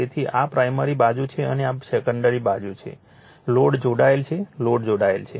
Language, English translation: Gujarati, So, this is your this is your primary side and this is your secondary side, a the load is connected, a load is connected